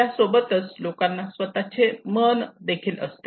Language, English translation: Marathi, But people have their own mind also